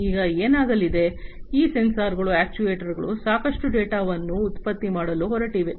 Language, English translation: Kannada, Now, what is going to happen, these sensors and actuators are going to throw in lot of data